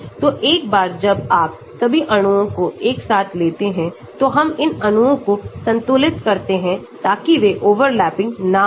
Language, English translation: Hindi, So, once you bring all the molecules together we sort of equilibrate these molecules so that they are not overlapping